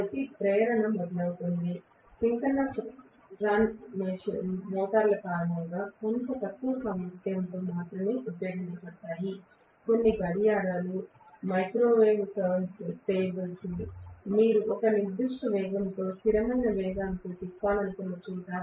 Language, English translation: Telugu, So induction starts, synchronous run motors are generally used only in somewhat lower capacity, some of the clocks, microwave turntables where you wanted to rotate at a particular speed, constant speed